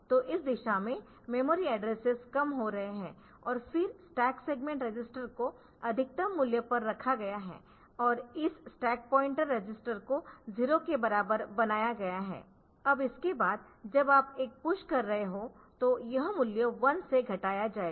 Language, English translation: Hindi, So, memory addresses are decreasing in this direction and then stack segment register is put to the maximum value and this stack pointer register is made to be equal to 0, now after that whenever you are doing a push